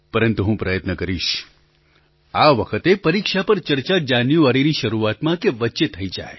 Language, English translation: Gujarati, It will be my endeavour to hold this discussion on exams in the beginning or middle of January